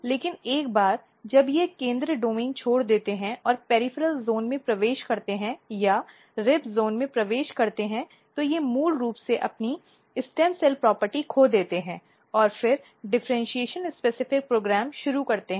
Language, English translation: Hindi, But once they leave the central domain and enters in the peripheral region or enters in the rib zone, they basically loses its stem cell property and then initiate differentiation specific program